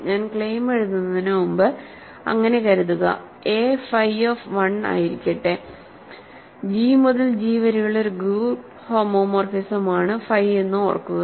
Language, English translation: Malayalam, So, suppose so, before I write the claim; so, let a be phi of 1; remember phi is the phi is a group homomorphism from G to G